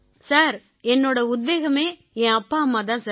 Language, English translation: Tamil, Sir, for me my motivation are my father mother, sir